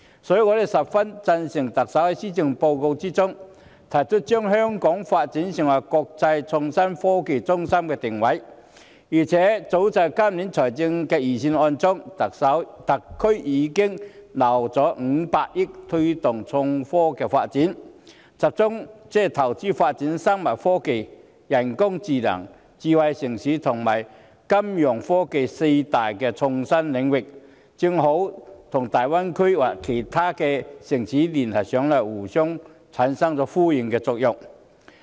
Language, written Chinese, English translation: Cantonese, 所以，我十分贊成特首在施政報告中，提出將香港發展成為國際創新科技中心的定位，而且，早在今年財政預算案中，特區政府已預留500億元推動創科發展，集中投資發展生物科技、人工智能、智慧城市和金融科技四大創新領域，這正好與大灣區其他城市的發展連繫起來，產生互相呼應的作用。, Therefore I fully support developing Hong Kong into an international IT centre as the Chief Executive proposed in the Policy Address . Besides the SAR Government has earmarked HK50 billion in this years Budget for promoting IT with the focus on developing four major IT areas namely biotechnology artificial intelligence smart city and financial technologies fintech . Such move precisely ties in with the development of other cities in the Greater Bay Area to achieve synergy effects